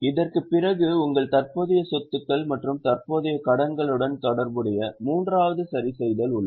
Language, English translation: Tamil, After this also there is a third adjustment that is related to your current assets and current liabilities